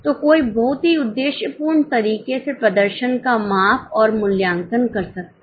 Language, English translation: Hindi, So, one can measure and evaluate the performance in a very, very objective manner